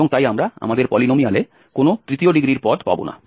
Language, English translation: Bengali, So, we can fit a polynomial of degree 3 as well